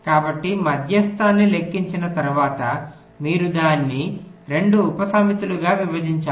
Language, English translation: Telugu, the idea is as follows: so after calculating the median, you divide it up into two subsets